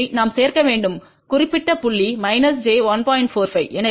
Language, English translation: Tamil, 1 we need to add plus j 1